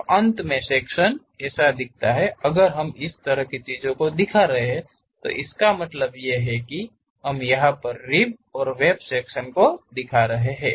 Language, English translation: Hindi, So, finally, the section looks like that; if we are showing such kind of things, we call rib and web sectional representations